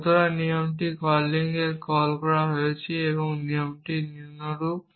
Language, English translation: Bengali, So, this rule is call in that calling modified and the rule is as follows